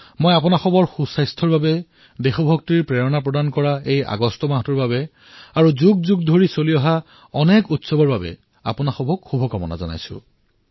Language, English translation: Assamese, I wish all of you best wishes for good health, for this month of August imbued with the spirit of patriotism and for many festivals that have continued over centuries